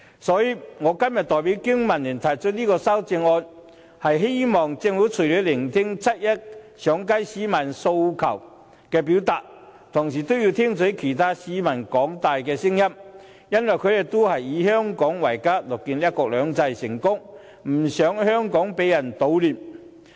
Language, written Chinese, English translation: Cantonese, 所以，我今天代表香港經濟民生聯盟提出修正案，希望政府除了要聆聽七一上街市民表達的訴求外，同時更要聽取其他市民的聲音，因為他們都以香港為家，樂見"一國兩制"成功，不想香港被人搗亂。, Hence today I propose an amendment on behalf of the Business and Professionals Alliance for Hong Kong in the hope that the Government apart from facing up to the aspirations of participants in the 1 July march will also listen to the views of other members of the public . These people regard Hong Kong as their home and are eager to see the successful implementation of one country two systems and do not want to see the disruption of Hong Kong